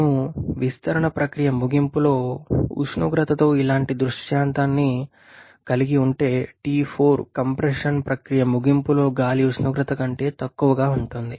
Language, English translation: Telugu, If we have a scenario something like this with the temperature at the end of the expansion process that is T4 that is less than the temperature of air at the end of compression process